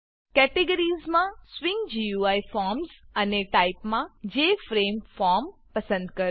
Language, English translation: Gujarati, Choose the Swing GUI Forms categories and the JFrameForm type